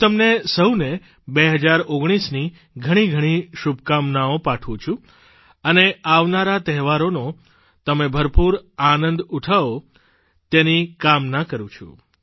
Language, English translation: Gujarati, I wish all of you a great year 2019 and do hope that you all to enjoy the oncoming festive season